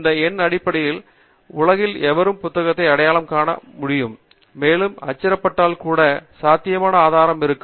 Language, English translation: Tamil, This number is basically going to allow anybody in the world to identify the book and also possibly source it if it is available in print